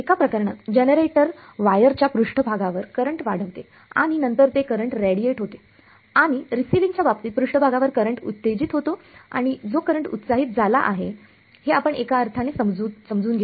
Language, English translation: Marathi, In one case the generator induces the current on the surface of the wire and then that current radiates and in the receiving case incident field comes excites a current on the surface and that current which has been excited is what we decode in some sense